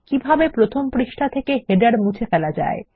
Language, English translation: Bengali, How to remove headers from the first page